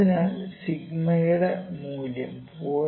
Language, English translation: Malayalam, So, for value of sigma is equal to 0